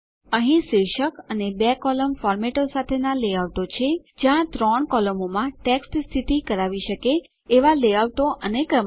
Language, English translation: Gujarati, There are layouts with titles and two columnar formats, layouts where you can position text in three columns and so on